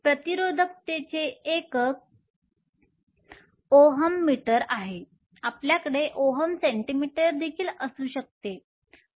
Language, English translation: Marathi, The unit of resistivity is ohm meter, you can also have ohm centimeter